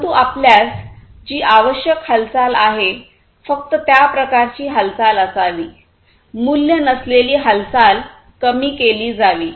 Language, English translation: Marathi, But whatever is required you should have only that kind of movement, non value added movement should be reduced